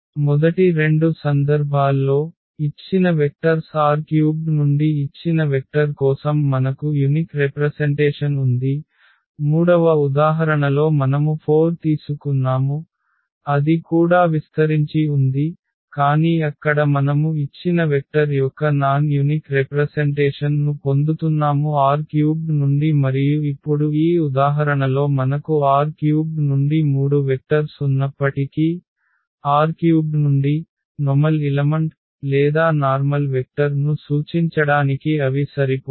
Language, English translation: Telugu, In the first two cases we had a unique representation for a given vector from R 3 in terms of the given vectors, in the third example where we have taken 4 that was also spanning set, but there you are getting non unique representations of a given vector from R 3 and now in this example though we have three vectors from R 3, but they are not sufficient to represent a general element or general vector from R 3